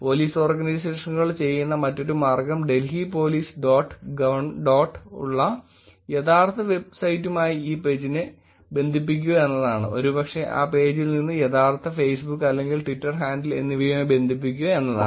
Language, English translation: Malayalam, And the other way that Police Organizations are doing is to connect the actual website which is Delhi Police dot gov dot in and probably link it to the actual Facebook or Twitter handle from that page